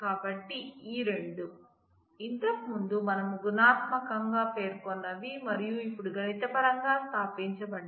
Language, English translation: Telugu, So, these two; what we had stated earlier in qualitative terms and now mathematically established